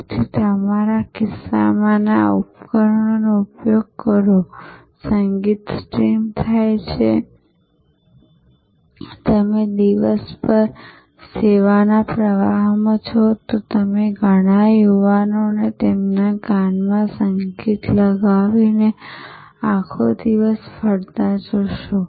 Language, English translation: Gujarati, So, use the devices in your pocket, the music is streamed and you are in the service flow throughout the day you will see many young people going around the whole day with the music plugged into their ears